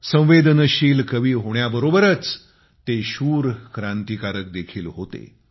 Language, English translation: Marathi, Besides being a sensitive poet, he was also a courageous revolutionary